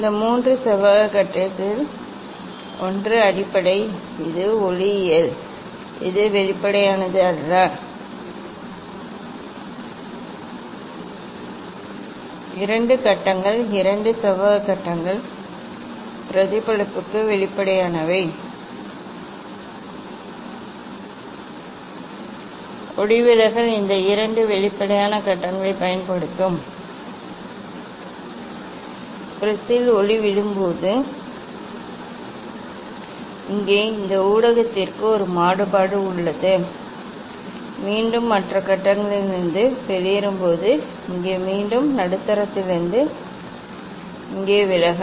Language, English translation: Tamil, out of this three rectangular phase one is base, it is the optic one, it is non transparent and two phases two rectangular phases are transparent for reflection and refraction will use this two transparent phases; when light fall on the prism, then here to this medium there is a diffraction and again when it exit from the other phase, here again refraction from medium to the here